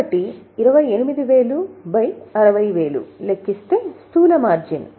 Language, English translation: Telugu, So, 28 upon 60, the gross margin is 46